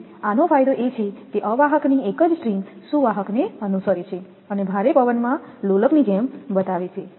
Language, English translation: Gujarati, So, advantage of this one is that a single string of insulator follows the conductor and shows like a pendulum in a strong side wind